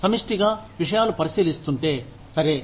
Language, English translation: Telugu, If collectively things are being considered, okay